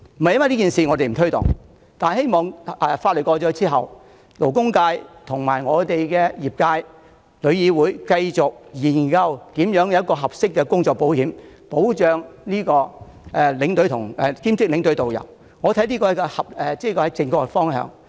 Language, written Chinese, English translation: Cantonese, 在《條例草案》獲得通過後，我希望勞工界、旅遊業界和旅議會能夠繼續研究如何提供合適的工作保險，保障兼職領隊和導遊，這才是正確方向。, Upon the passage of the Bill I hope the labour sector the travel trade and TIC will continue to examine the ways to provide appropriate work insurance to part - time tour escorts and tourist guides to safeguard their interests . This should be the right direction